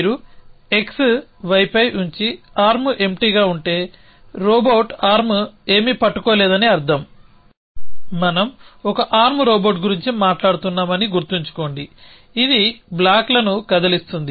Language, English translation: Telugu, So, if you x is on y and arm is empty which means robot arm is not holding anything remember we are talking about 1 arm robot which is moving blocks around